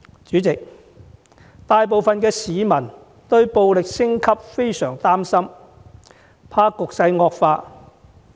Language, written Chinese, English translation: Cantonese, 主席，大部分市民對暴力升級都相當擔心，害怕局勢會惡化。, President most members of the public are rather worried by the escalation in violence fearing that the situation will deteriorate further